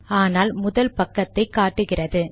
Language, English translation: Tamil, It re opens but shows the first page